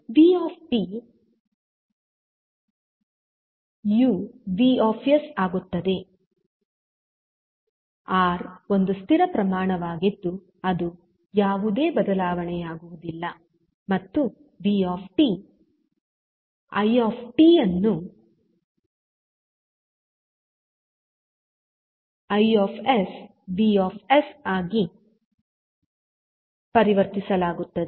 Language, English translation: Kannada, So, vt will become vs, r is a constant quantity there is no change in the r and i t will be converted into i s